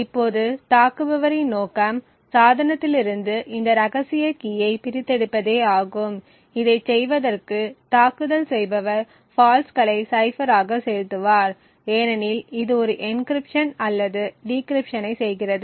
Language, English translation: Tamil, Now the objective for the attacker is to extract this secret key from the device in order to do this the attacker would inject faults as the cipher is actually doing an encryption or decryption